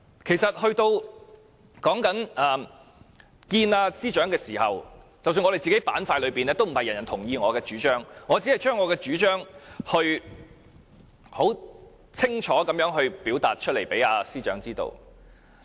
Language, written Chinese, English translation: Cantonese, 其實在面見司長的時候，我們陣營內也不是每一位都同意我的主張，我只是將自己的主張清楚地表達給司長知道。, In fact when we met with the Secretary not everyone from our camp agreed with me and I only conveyed my own ideas thoroughly to the Secretary